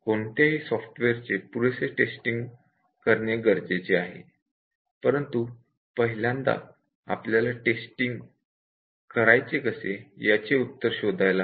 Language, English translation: Marathi, So, any software needs adequate testing, but the first question we need to answer is that, how does somebody tests a software